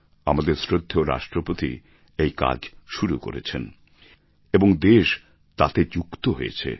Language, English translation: Bengali, Our Honourable President inaugurated this programme and the country got connected